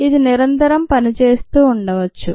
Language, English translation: Telugu, it could be continuous